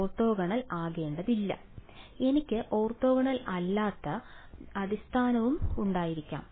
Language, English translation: Malayalam, Need not be orthogonal, I can have non orthogonal basis also